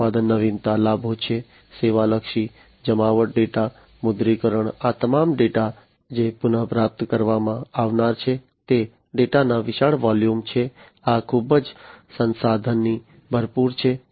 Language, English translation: Gujarati, Product innovation; the benefits are service oriented deployment, data monetization, all these data that are going to be retrieved huge volumes of data these are very much resource full